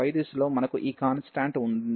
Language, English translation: Telugu, In the direction of y, we have this constant